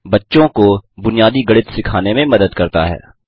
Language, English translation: Hindi, Helps teach kids basics of mathematics